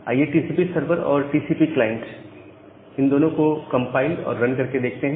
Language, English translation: Hindi, So, first let us compile TCP server and compile TCP client